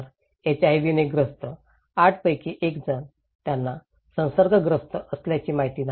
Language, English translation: Marathi, So, 1 in 8 living with HIV, they don’t know that they are infected